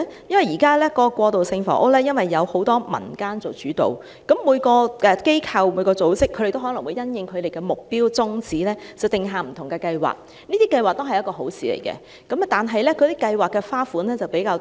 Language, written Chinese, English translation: Cantonese, 因為現時過渡性房屋由多個民間組織做主導，每個機構和組織也可能因應其目標和宗旨定下不同計劃，這些計劃也是好的，但計劃的形式則較多。, It is because transitional housing projects are currently undertaken by a multiple of community organizations and these organizations and groups may also have designed different projects in accordance with their goals and objectives . These projects are all good but they may have different schemes